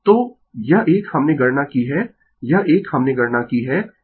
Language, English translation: Hindi, So, this one we have computed , this one we have computed